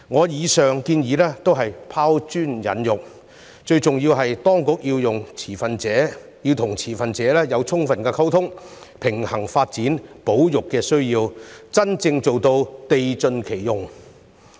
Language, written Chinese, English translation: Cantonese, 以上建議旨在拋磚引玉，最重要的是當局應和持份者有充分溝通，並平衡發展與保育的需要，真正做到地盡其用。, The above suggestions are intended to attract other valuable opinions . Most importantly the authorities should maintain adequate communication with the stakeholders balance the needs of development and conservation and truly utilize the land resources to the fullest